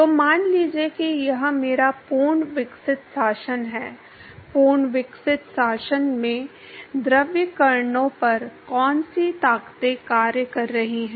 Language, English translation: Hindi, So, suppose this is my fully developed regime, what are the forces that are acting on the fluid particles in the fully developed regime